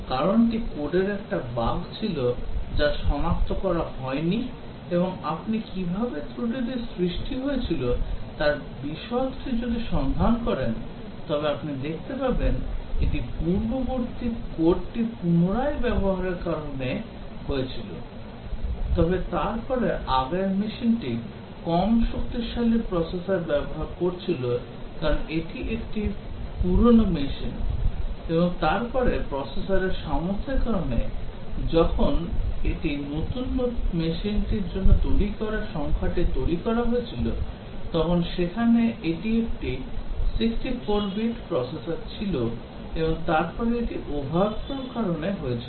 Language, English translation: Bengali, Reason was a bug in the code which was undetected and if you look into details of how the bug was caused you will see that it was due to reuse of earlier code, but then the earlier machine was using a less powerful processor because it was a older machine and then, when it was used for the newer machine the number generated because of the processor's capability, it was a 64 bit processor and then it caused an over flow